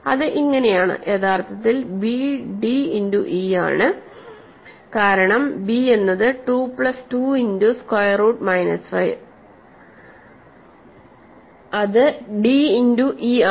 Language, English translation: Malayalam, So, they will not; so, and b is actually d times e, right, because b which is 2 plus 2 times square root minus 5 is d times e